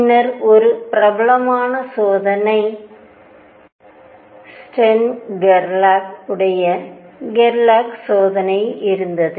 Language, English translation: Tamil, And then there was a famous experiment stern Gerlach, Gerlach experiment